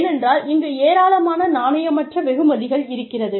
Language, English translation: Tamil, Why because, of these non monetary rewards